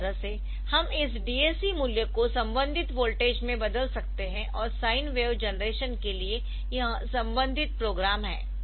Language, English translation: Hindi, So, this way we can convert this DAC values to the corresponding voltage and this is the corresponding program for the sine wave generation